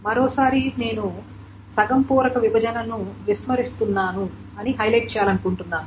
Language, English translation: Telugu, Once more, I want to highlight that I am ignoring the half field partitions